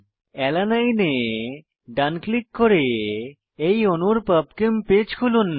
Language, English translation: Bengali, Right click on Alanine to open the PubChem page for this molecule